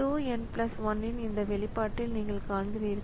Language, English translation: Tamil, So, you see in this expression of tau n plus 1